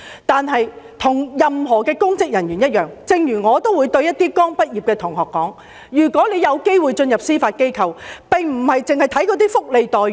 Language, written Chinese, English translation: Cantonese, 但是，與任何公職人員一樣......正如我也會對一些剛畢業的同學說，如果有機會進入司法機構，並非只看福利待遇。, However like any public officers I have told some fresh graduates that if they can join the Judiciary they should not merely focus on welfare benefits